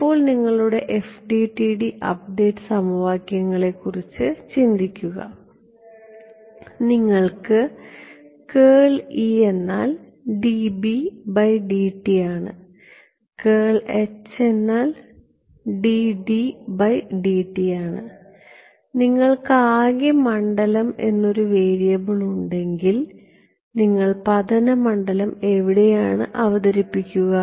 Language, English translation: Malayalam, Now look at think of your FDTD update equations, you have curl of E is dB/dt, curl of h is dD/dt and if you have variable is let us say total field, where will you introduce the incident field